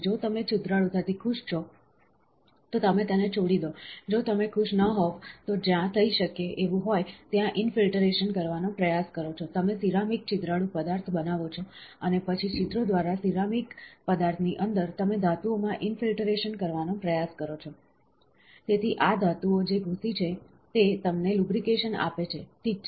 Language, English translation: Gujarati, If you are happy with the porosity, leave with it, if you are not happy, you try to infiltrate material where is application, you make ceramic porous material, and then inside the ceramic material through the pores, you try to infiltrate metals; so, these metals which are infiltrated gives you lubrication, ok